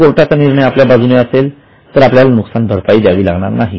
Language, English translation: Marathi, If court gives decision in our favor, we may not have to pay